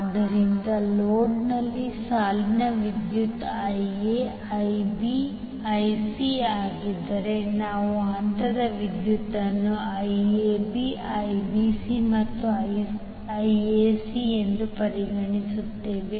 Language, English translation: Kannada, So if the line current is Ia, Ib, Ic in the load we consider phase current as Iab, Ibc and Ica